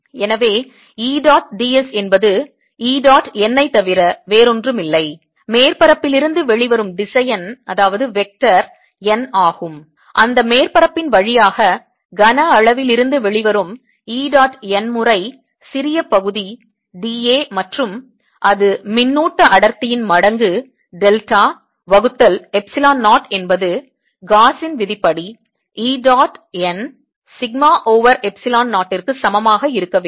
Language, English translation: Tamil, therefore e dot d s is nothing but e dot n, where n where the vector coming up out of the surface, coming out of the volume through that surface, e dot n times that small area, d, b, a, and there should be equal to charge density times delta a divided by epsilon zero, by gauss's law, and therefore e dot n is equal to sigma over epsilon zero